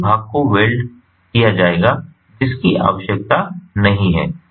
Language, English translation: Hindi, so more part will get welded, which is not required